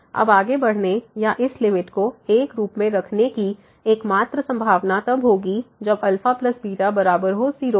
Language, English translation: Hindi, Now, the only possibility to move further or to have this limit as will be when alpha plus beta is equal to